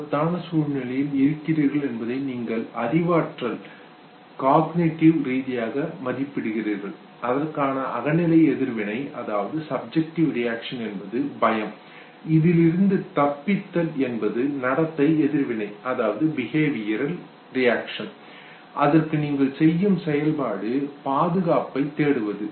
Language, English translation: Tamil, You cognitively appraise that you are in a situation of danger the subjective reaction is that of fear, Escape is the behavioral reaction and then the function that you perform is that fine you look for safer options you look towards safety